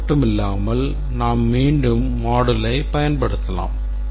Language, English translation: Tamil, And not only that, we can reuse module